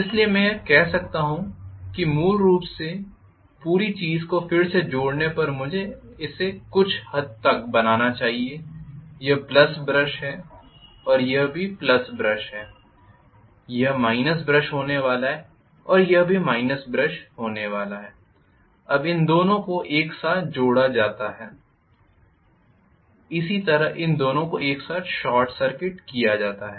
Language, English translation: Hindi, So I can say basically just redrawing the whole thing I should be able to draw it somewhat like this this is the plus brush this is the plus brush this is going to be the minus brush and this is going to be the minus brush,right